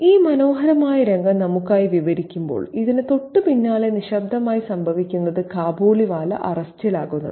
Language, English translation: Malayalam, While this pleasant scene is being described for us, what happens quite soon after this is that the Kabiliwala is arrested